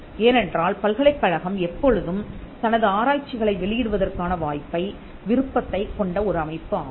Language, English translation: Tamil, Because university is always having an option of publishing their research